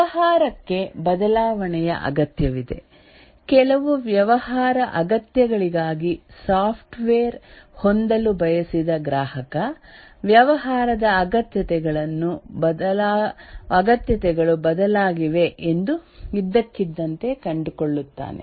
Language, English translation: Kannada, The business needs change, that is the customer who wanted to have the software for certain business needs, suddenly finds that the business needs has changed